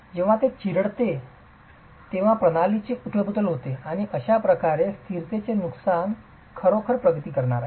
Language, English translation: Marathi, When it crushes you have overturning of the system and that is how the loss of stability is going to actually progress